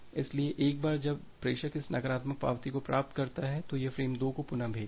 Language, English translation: Hindi, So, once the sender receives this negative acknowledgement it retransmits frame 2